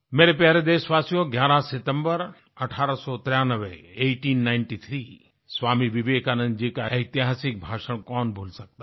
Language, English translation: Hindi, My dear countrymen, who can forget the historic speech of Swami Vivekananda delivered on September 11, 1893